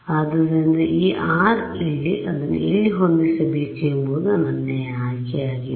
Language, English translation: Kannada, So, this r over here, it is my choice where to set it